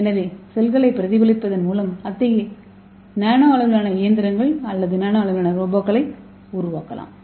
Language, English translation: Tamil, So when the cell we can easily take the idea and we can mimic such kind of nano scale machines or nano scale Robots